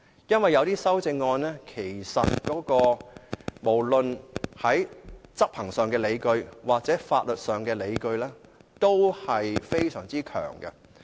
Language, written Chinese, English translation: Cantonese, 因為有一些修正案，無論是執行上或法律上的理據，均非常強。, There are some amendments which have very strong enforcement and legal justifications